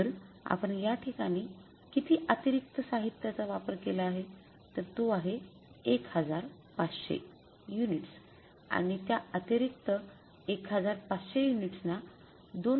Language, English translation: Marathi, So, how much extra material we have used here is 1500 units and total multiplying that 1500 extra units used by 2